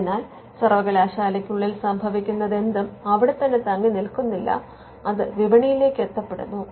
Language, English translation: Malayalam, So, there is whatever happens within the university does not remain there, it is taken to the market and there is a public good involved in it